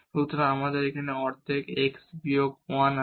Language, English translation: Bengali, 1 this x minus 1